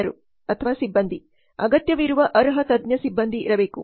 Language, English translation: Kannada, People there must be well qualified expert personnel required